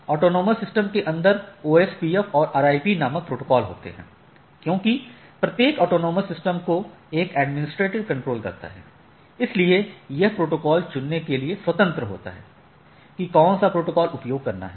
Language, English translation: Hindi, Inside the autonomous system there are protocols called OSPF and RIP which can be within the autonomous system, as each autonomous system under single administrative control so, the administrator is free to choose which protocol to use right